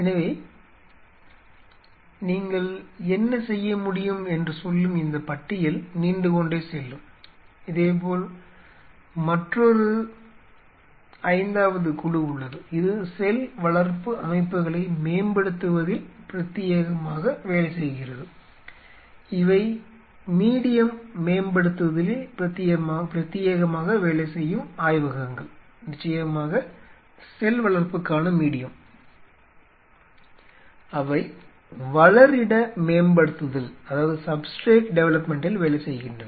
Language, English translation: Tamil, So, I mean this list can go on what all you can do similarly there is another fifth group which exclusively work on developing cell culture systems itself, these are the labs which exclusively work on medium development, medium for cell culture of course, they work on substrate development, substrate for culturing the cells these are all for the